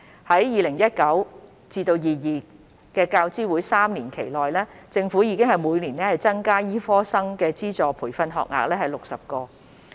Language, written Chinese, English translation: Cantonese, 在 2019-2022 教資會3年期內，政府已每年增加60個醫科生的資助培訓學額。, In the 2019 - 2022 UGC triennium the Government has increased the funded medical training places by 60 per annum